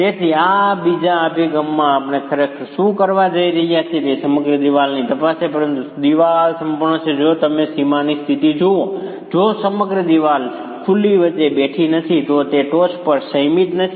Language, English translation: Gujarati, So, what we are actually going to be doing in this second approach is examine the wall as a whole, examine the wall as a whole, but the wall as a whole is if you look at the boundary condition, the wall as a whole is not sitting between openings